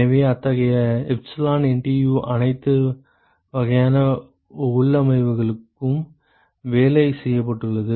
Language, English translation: Tamil, So, such epsilon NTU has been worked out for all kinds of configurations